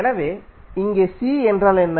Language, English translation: Tamil, So, here what is C